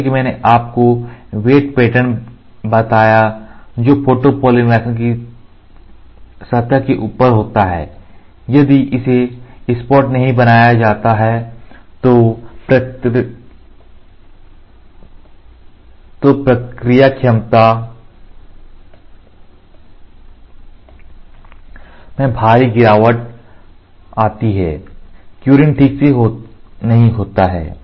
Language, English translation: Hindi, As I told you the wave pattern which is there on top of the surface of the photopolymer; if it is not made flat, the process efficiency falls down drastically, the curing does not happen properly